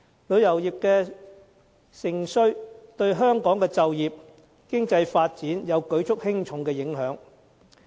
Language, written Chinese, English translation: Cantonese, 旅遊業的盛衰對香港的就業和經濟發展，有着舉足輕重的影響。, The growth and decline of the tourism industry has a significant impact on the employment and economic development of Hong Kong